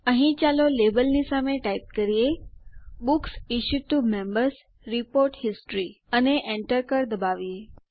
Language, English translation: Gujarati, Here, let us type Books Issued to Members: Report History against the Label and press Enter